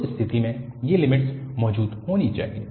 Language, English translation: Hindi, In that case, these limits should exist